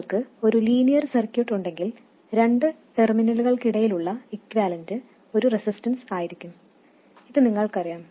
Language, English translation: Malayalam, You know that if you have a linear circuit then the equivalent between any two terminals will be a resistance